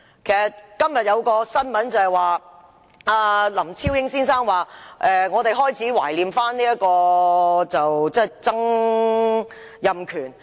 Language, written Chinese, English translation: Cantonese, 今天有一篇新聞，指林超英先生表示開始懷念曾蔭權。, There is a press article today that Mr LAM Chao - ying said he began to miss Donald TSANG